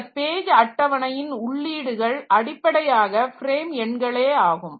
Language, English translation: Tamil, So, this entries of this page table is basically the corresponding frame number